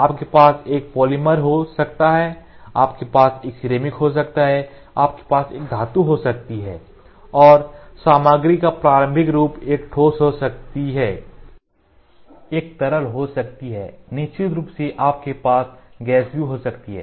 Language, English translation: Hindi, So, what is the starting material, you can have a polymer, you can have a ceramic, you can have a metal and the starting form material can be a solid, can be a liquid, of course, you can also have gas